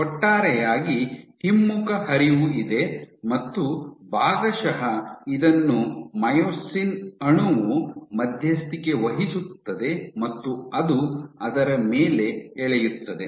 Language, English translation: Kannada, This overall you have this back flow and partly this is mediated by your myosin molecule which pulls on it